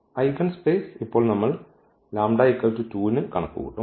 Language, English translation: Malayalam, The eigenspace now we will compute for lambda is equal to 2